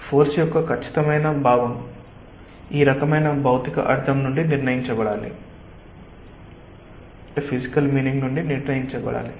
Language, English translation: Telugu, the exact sense of the force has to be determined from the physical meaning of this type